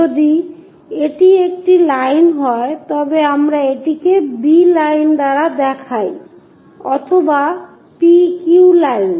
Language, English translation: Bengali, If it is a line, we show it by a b line, may be p q line, all these are lower case letters